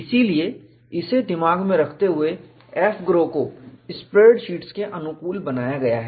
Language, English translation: Hindi, So, keeping that in mind, AFGROW is made to be compatible with spread sheets